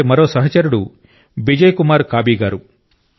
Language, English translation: Telugu, Just as… a friend Bijay Kumar Kabiji